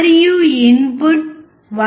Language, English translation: Telugu, And the input is 1